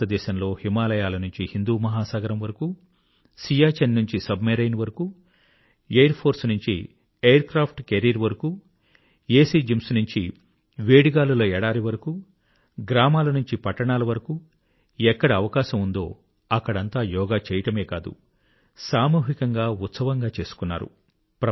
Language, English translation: Telugu, In India, over the Himalayas, across the Indian Ocean, from the lofty heights of Siachen to the depths of a Submarine, from airforce to aircraft carriers, from airconditioned gyms to hot desert and from villages to cities wherever possible, yoga was not just practiced everywhere, but was also celebrated collectively